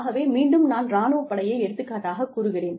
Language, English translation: Tamil, So again, I take the example of the armed forces